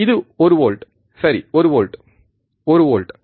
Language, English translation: Tamil, Which is one volt, right 1 volt 1 volt